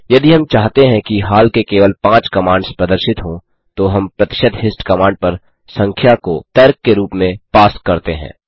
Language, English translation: Hindi, If we want only the recent 5 commands to be displayed, we pass the number as an argument to percentage hist command